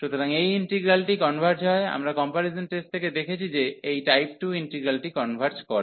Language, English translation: Bengali, So, this integral converges, we have seen from the comparison tests that this integral of type 2 converges